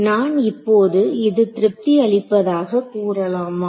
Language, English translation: Tamil, Now can I say that this satisfies right